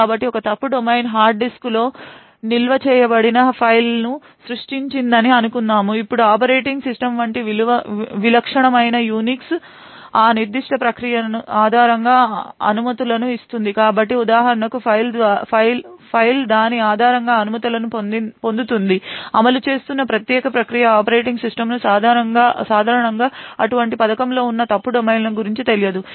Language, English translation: Telugu, So let us say that one fault domain has created a file which is stored on the hard disk, now the operating system a typical Unix like operating system would give permissions based on that particular process, so the file for example will obtain permissions based on that particular process that is executing, the operating system typically is actually unaware of such fault domains that are present in such a scheme